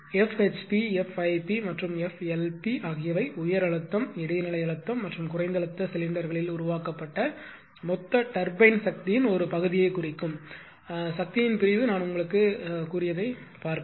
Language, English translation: Tamil, But the faction of power that F HP, F IP and F LP represent portion of the total turbine power developed in the high pressure, intermediate pressure and low pressure cylinders right see in that that that I told you